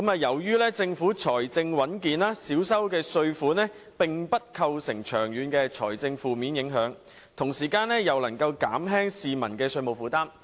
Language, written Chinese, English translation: Cantonese, 由於政府財政穩健，少收的稅款並不會構成長遠的財政負面影響，同時又能減輕市民的稅務負擔。, Given the sound fiscal position of the Government the reduction in tax revenue will not have a negative impact on its long - term finances and will serve to ease the tax burden on the public